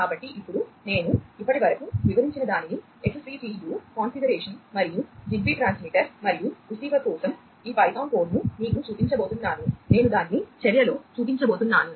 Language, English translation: Telugu, So, now, I am going to show you whatever I have explained so far, the XCTU configuration and also this python code for the ZigBee transmitter and the receiver, I am going to show it in action